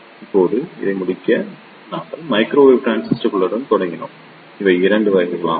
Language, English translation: Tamil, Now, to conclude this, we started with microwave transistors and these are of 2 types